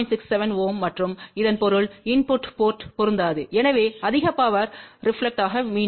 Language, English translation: Tamil, 67 ohm and that means that input port will not be matched, so lot of power will get reflected back